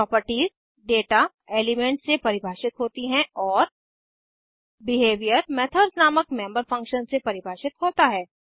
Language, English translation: Hindi, Properties are defined through data elements and Behavior is defined through member functions called methods